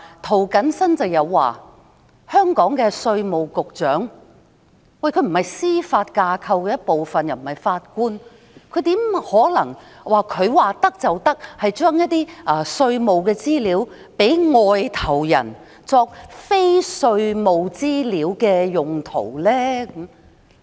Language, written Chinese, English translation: Cantonese, 涂謹申議員表示，香港稅務局局長既不是司法架構的一部分亦不是法官，怎可能他說沒有問題，就把一些稅務資料交給外國人作非稅務資料的用途呢？, Mr James TO said that the Commissioner of Inland Revenue was neither part of the Judiciary nor a judge so how could he authorize the transfer of tax information to foreigners for non - tax related purposes simply because he considered that there was no problem?